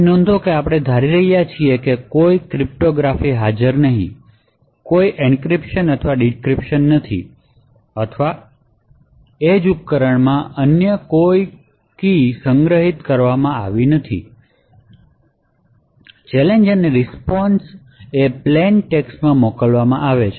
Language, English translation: Gujarati, So note that since we are assuming that there is no cryptography present, there is no encryption or decryption or any other stored keys present in the edge device therefore, the challenge and the response would be sent in clear text